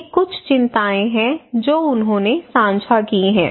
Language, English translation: Hindi, So these are some of the concern they shared